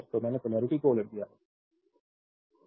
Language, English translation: Hindi, So, I have reverse the polarity